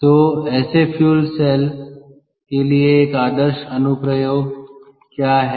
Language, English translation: Hindi, so what is an ideal application for such a fuel cell